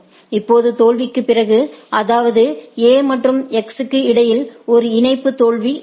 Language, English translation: Tamil, Now, after failure that means, there is a link failure between A and X